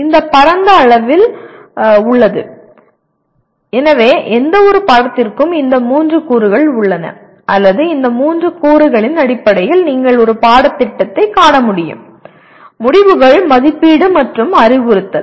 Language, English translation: Tamil, That is broadly, so any course has these three elements or you should be able to view a course in terms of these three elements; outcomes, assessment, and instruction